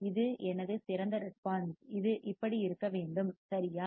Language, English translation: Tamil, This is my ideal response, it should look like this right